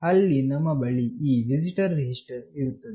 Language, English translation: Kannada, There we have this visitor register